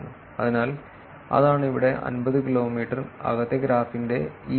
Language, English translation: Malayalam, So, that is what is this here 50 kilometers is this part of the inside graph